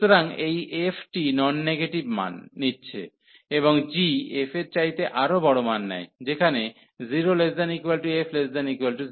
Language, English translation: Bengali, So, this f is taking non negative values, and g is taking larger values then f